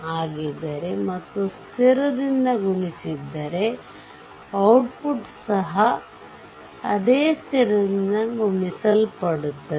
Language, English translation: Kannada, If the input is excitation, and it is multiplied by constant, then output is also multiplied by the same constant